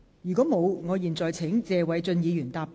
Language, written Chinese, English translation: Cantonese, 如果沒有，我現在請謝偉俊議員答辯。, If not I now call upon Mr Paul TSE to reply